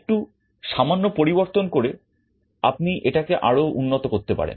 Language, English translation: Bengali, Now with a small modification you can make an improvement